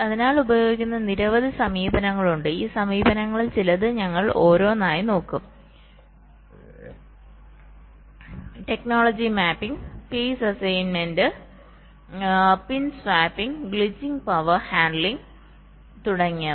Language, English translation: Malayalam, we shall be looking at some of this approaches one by one: technology mapping, phase assignment, pin swapping, glitching, power handling, etcetera